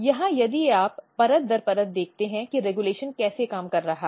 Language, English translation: Hindi, Here if you look layer wise how regulation is working